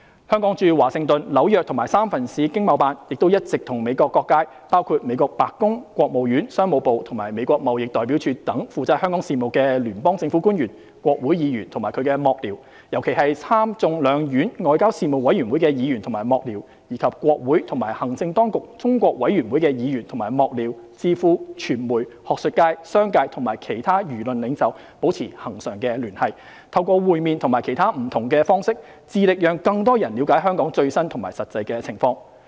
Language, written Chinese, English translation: Cantonese, 香港駐華盛頓、紐約及三藩市經貿辦，亦一直與美國各界，包括美國白宮、國務院、商務部及美國貿易代表處等負責香港事務的聯邦政府官員、國會議員及其幕僚，尤其是參眾兩院外交事務委員會的議員及幕僚，以及國會及行政當局中國委員會的議員及幕僚、智庫、傳媒、學術界、商界和其他輿論領袖保持恆常聯繫，透過會面及其他不同方式，致力讓更多人了解香港最新和實際情況。, Hong Kongs ETOs in Washington DC New York and San Francisco have all along maintained regular contact with various sectors in the United States including federal government officials responsible for Hong Kong affairs in the White House Department of State Department of Commerce and Office of the United States Trade Representative congressional members and their staffers in particular members and staffers of the committees for foreign affairs of the Senate and House of Representatives and the Congressional - Executive Commission on China think tanks the media the academia the business community and other opinion leaders . Through meetings and other different approaches ETOs work in earnest to bring the latest and actual situation in Hong Kong to a wider audience